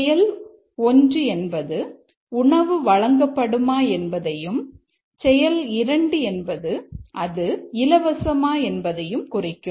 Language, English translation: Tamil, Action 1 is whether meal is served and action 2 is whether it is free